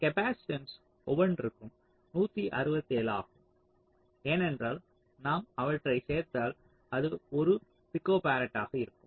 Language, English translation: Tamil, so each of this capacitance will be one, sixty seven, because if you add them up it will be one, p, f